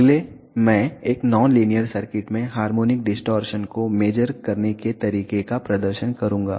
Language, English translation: Hindi, Next I will demonstrate how to measure the harmonic distortion in a non linear circuit